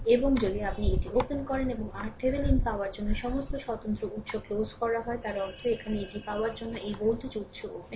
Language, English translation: Bengali, And if you open this one, for this one you open and for getting your R Thevenin, all the independent sources are turned off right; that means, here this voltage source to get this is open, this is open, right